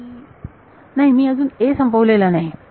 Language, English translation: Marathi, No I have not finished a